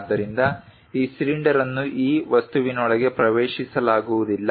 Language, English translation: Kannada, So, this cylinder cannot be entered into that object